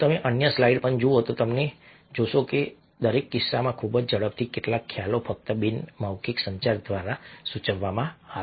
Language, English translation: Gujarati, if you look at the other slides as well, you will find that in each case, very quickly, some concept is getting suggested just through non verbal communication